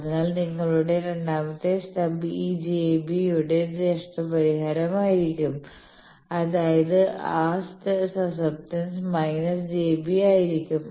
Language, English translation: Malayalam, So, your second stub that will be compensation of this j b; that means, that susceptance will be minus j b